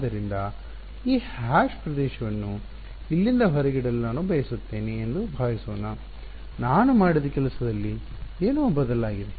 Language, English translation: Kannada, So, supposing I want to exclude this hashed region from here, what would change in what I have done